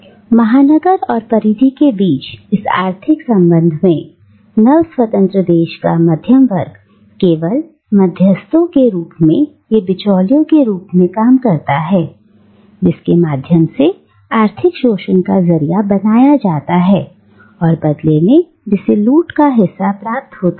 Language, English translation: Hindi, Now, in this economic relationship between the metropolis and the periphery, the middle class of the newly independent country merely acts as intermediaries or as the middleman through whom the economic exploitation is channelized and who, in turn, gets a share of the loot, right